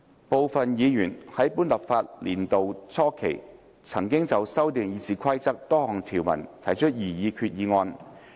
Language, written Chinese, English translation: Cantonese, 部分議員在本立法年度初期，曾就修訂《議事規則》多項條文提出擬議決議案。, At the beginning of this legislative session some Members moved proposed resolutions to amend the Rules of Procedure